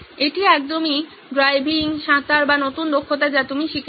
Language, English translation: Bengali, This is about just like driving, swimming or new skills that you have learnt